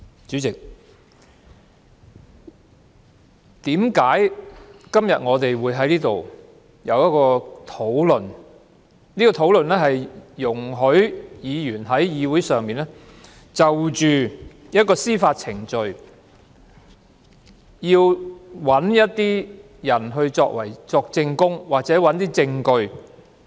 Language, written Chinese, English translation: Cantonese, 主席，為何我們今天會在這裏討論議員在議會上是否准許一些人就一項司法程序作證或提供證據？, President why are we discussing here in this Council whether we shall permit some people to give or provide evidence in relation to a judicial process?